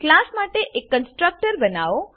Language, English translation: Gujarati, Create a constructor for the class